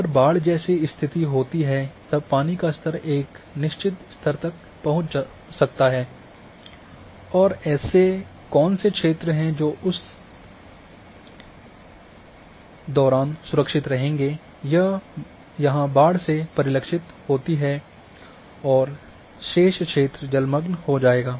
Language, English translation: Hindi, May be because of in flooding if condition occurs that water can reach to certain level and so what are the areas which would remain safe during that kind of flooding is reflected here and rest of the area will be get inundated